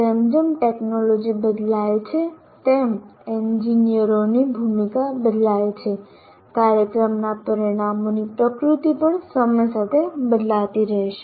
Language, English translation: Gujarati, As the technology changes, the role of engineers change, so the nature of program outcomes also will have to change with time